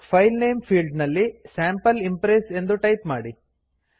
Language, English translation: Kannada, In the filename field type Sample Impress